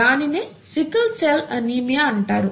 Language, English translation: Telugu, And that results in sickle cell anaemia